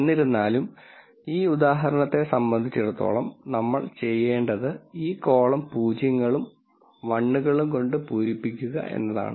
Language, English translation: Malayalam, So, nonetheless as far as this example is concerned what we need to do is we have to fill this column with zeros and ones